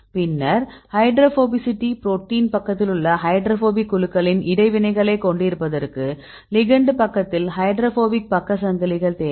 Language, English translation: Tamil, with the hydrophobic groups rights in the protein side, then we requires the hydrophobic side chains right in the ligand side to have these interactions